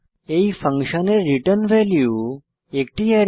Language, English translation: Bengali, The return value of this function is an Array